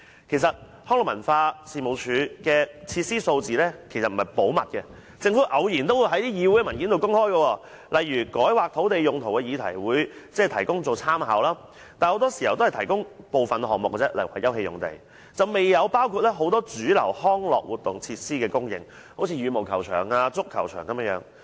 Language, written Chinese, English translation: Cantonese, 其實，康文署的設施數字並不是秘密，政府偶然也會在議會文件內公開，例如在改劃土地用途的議題提供這些數據作參考，但很多時候只提供部分項目，未有包括很多主流康樂活動設施的供應數據，例如羽毛球場、足球場等。, Indeed the data on the facilities of LCSD is no secret . The Government occasionally will provide such data for reference in meeting papers on change of land use . But the data often only covers some items such as about open space and does not cover the supply of many mainstream recreational facilities such as badminton courts football pitches etc